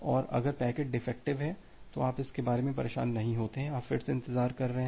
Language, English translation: Hindi, And if the packet is corrupted, then you do not bother about that, you are again in the wait loop